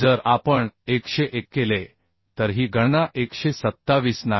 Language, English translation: Marathi, 25 so if we put this value we can find out as 127